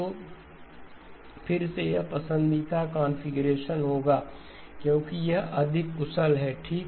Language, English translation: Hindi, So again this would be the preferred configuration because it is more efficient okay